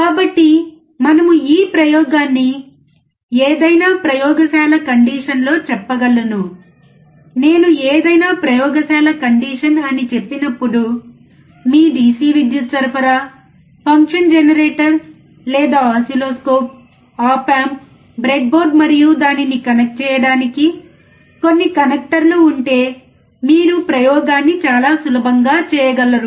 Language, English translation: Telugu, So, we can perform this experiment in any laboratory condition, when I say any laboratory condition, it means if you have your DC power supply, a function generator or oscilloscope, op amp, breadboard, and some connectors to connect it, then you can perform the experiment very easily